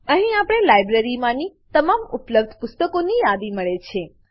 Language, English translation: Gujarati, Here, We get the list of all the books available in the library